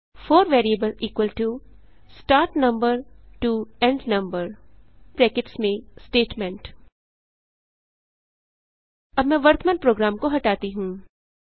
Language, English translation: Hindi, for variable = start number to end number { Statement} Let me clear the current program